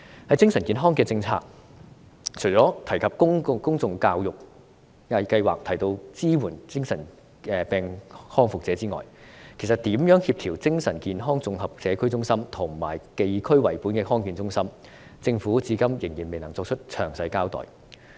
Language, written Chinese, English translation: Cantonese, 在精神健康政策方面，除了提到推行公眾教育計劃及支援精神病康復者外，如何協調精神健康綜合社區中心，以及地區為本的康健中心，政府至今仍然未能作出詳細交代。, This is what a safety net should be like . As regards mental health policy apart from mentioning the introduction of a public education initiative and the provision of support for ex - mentally ill persons so far the Government still fails to give a detailed account on how to coordinate the Integrated Community Centres for Mental Wellness and district - based Health Centres